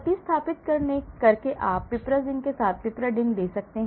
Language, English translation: Hindi, By replace as you can see piperidine with piperazine